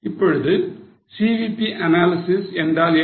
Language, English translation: Tamil, Now what is CVP analysis